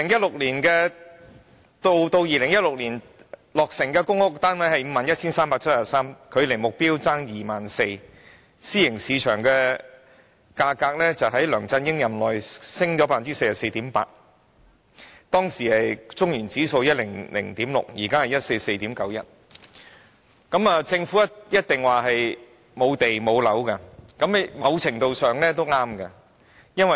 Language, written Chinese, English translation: Cantonese, 截至2016年落成的公屋單位是 51,373 個，距離目標欠 24,000 個，私營市場物業價格在梁振英任內上升 44.8%， 而當時的中原城市領先指數是 100.6， 現在則是 144.91。, As at 2016 the number of completed PRH flats stood at 51 373 some 24 000 short of the target . Private property prices have risen 44.8 % during LEUNG Chun - yings term of office with the Centa - City Leading Index shooting up from the then 100.6 to the current figure of 144.91